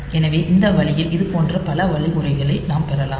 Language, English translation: Tamil, So, this way we can have a number of such instructions